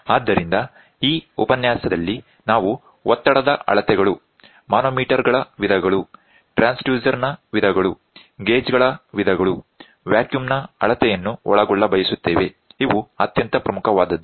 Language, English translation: Kannada, So, in this lecture, we would like to cover pressure measurements, types of the manometers, types of transducer, types of gauges, measurement of vacuum which is very, very important